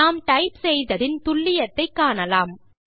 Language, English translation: Tamil, Lets check how accurately we have typed